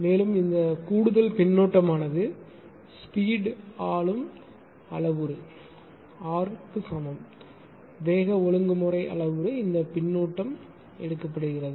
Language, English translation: Tamil, And this additional feedback that is speed governor governing parameter R equal speed regulation parameter this feedback is taken